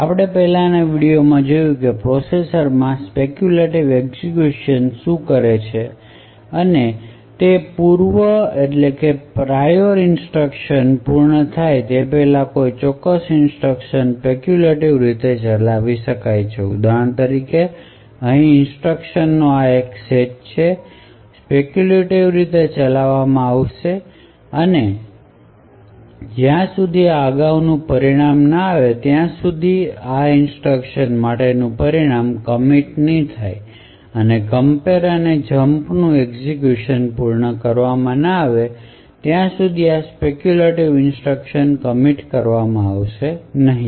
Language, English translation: Gujarati, As we have seen in the previous video what speculative execution in a processor does is that certain Instructions can be speculatively executed even before prior instructions have actually being completed so for example over here this set of instructions can be speculatively executed and the result for these instructions will not be committed unless and until this previous result corresponding to the compare and the jump have completed execution only at the speculation is correct would these instructions be committed